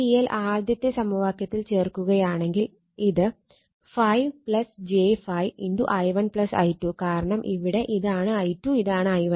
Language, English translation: Malayalam, So, but question is put the put the KVL in the first equation it will be, 5 plus j 5 into i 1 plus i 2, because here this is that your i 2 and this is the i 1